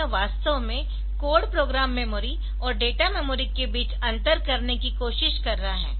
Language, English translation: Hindi, So, it is actually trying to distinguish between code program memory and data memory